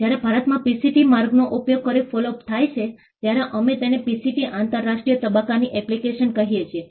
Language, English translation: Gujarati, When the follow up happens in India using the PCT route, we call it a PCT national phase application